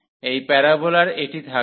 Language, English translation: Bengali, So, this parabola will have this